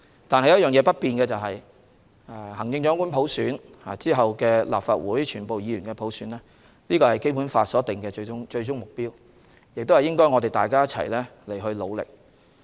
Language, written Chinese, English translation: Cantonese, 但不變的是行政長官普選及其後的立法會普選是《基本法》所定的最終目標，我們需為此一起努力。, But what remains unchanged is that the selection of the Chief Executive and subsequently the election of the Legislative Council by universal suffrage is enshrined as an ultimate aim in the Basic Law an aim for which we should strive together